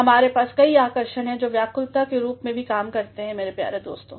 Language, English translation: Hindi, We have several attractions which also act as deviations my dear friends